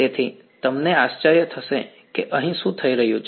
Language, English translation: Gujarati, So, you wonder what is going on over here